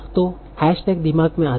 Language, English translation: Hindi, So does do hashtags come into mind